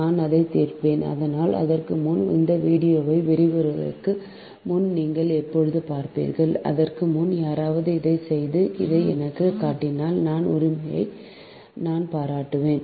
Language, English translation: Tamil, but before that, before those video lecture, when you will see, before that, if anybody can do it and can show this to me, then i will appreciate that, right